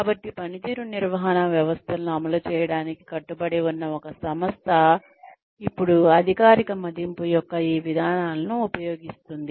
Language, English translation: Telugu, So, an organization, that is committed to implementing performance management systems, then uses these procedures of formal appraisal